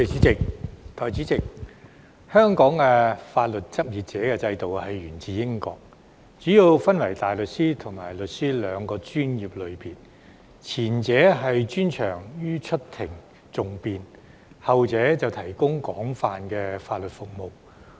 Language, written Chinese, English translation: Cantonese, 代理主席，香港法律執業者制度源自英國，主要分為大律師和律師兩個專業類別，前者專長於出庭訟辯，後者則提供廣泛的法律服務。, Deputy President the regime of legal practitioners in Hong Kong originates from the United Kingdom . There are mainly two professional categories barristers and solicitors . The former specializes in advocacy in courts whereas the latter provides a wide range of legal services